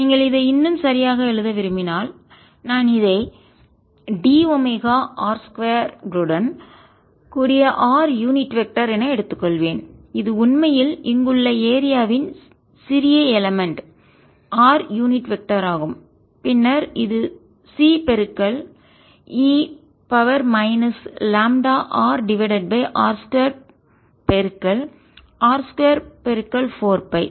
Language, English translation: Tamil, if you really like to write it more properly, i would take r unit vector dotted with d, omega r square, which is really small element of area here r unit vector which then comes out to be c